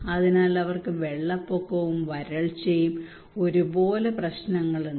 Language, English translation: Malayalam, So they have both issues of flood and drought